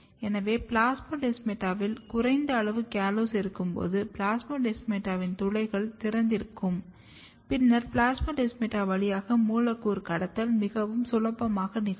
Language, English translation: Tamil, So, when you have less amount of callose at the plasmodesmata, the pores of plasmodesmata are more open and then molecular trafficking through plasmodesmata can occur very freely